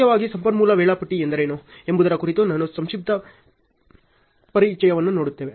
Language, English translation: Kannada, Primarily, I will give a brief introduction on what is resource scheduling